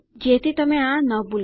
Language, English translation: Gujarati, So you wont forget them